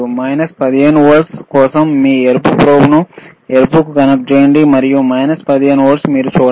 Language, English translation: Telugu, mFor minus 15 volts just connect your red probe to, yes, greenred and you can see minus 15 volts